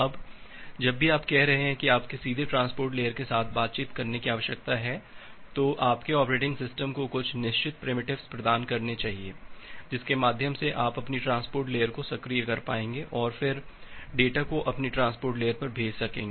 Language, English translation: Hindi, Now whenever you are saying that you need to directly interact with the transport layer, your operating system should provide certain primitives through which you will be able to make your transport layer active and then send the data to your transport layer